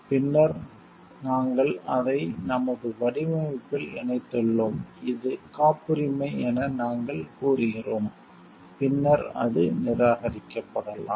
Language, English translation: Tamil, And then we have incorporated it in our design and, we are claiming like it is a patent later on it may get rejected